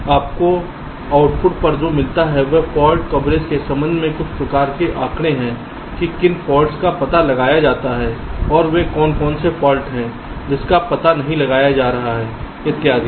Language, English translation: Hindi, so what you get at the output is some kind of statistics with respect to fault coverage: which are the faults that are detected, which are the faults which are not getting detected, and so on